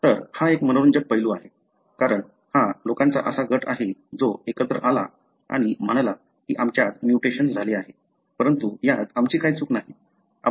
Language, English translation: Marathi, So, this is interesting aspect, because these are the group of individuals who came together and said we have a mutation, but it is not our fault